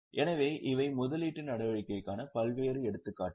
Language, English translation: Tamil, So, these are variety of examples of investing activity